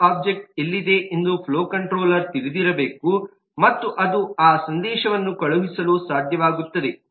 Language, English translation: Kannada, flow controller must know where the valve object exists and it should be able to send that message